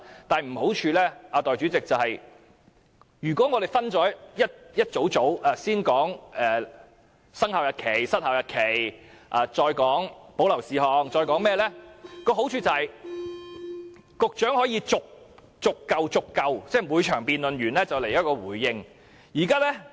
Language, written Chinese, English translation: Cantonese, 代理主席，如果把修正案內容分為數組，先討論生效日期、失效日期，再討論保留事項及其他，好處是局長可以在每場辯論結束後作出回應。, Deputy President if the contents of the amendments are divided into groups so that we will first discuss the effective and expiry dates and then discuss the reserved matters and other issues the advantage is that the Secretary can respond at the end of each debate session